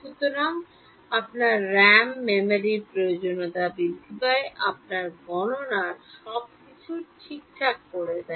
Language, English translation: Bengali, So, your RAM; memory requirements increases, your computation time increases everything right